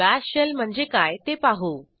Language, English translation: Marathi, Let me show you what is a Bash Shell